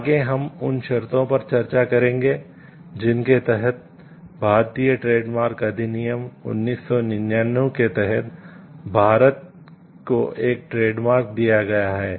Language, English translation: Hindi, Next, we will discuss under what conditions is the trademark granted in India under that; Indian trades marks act of 1999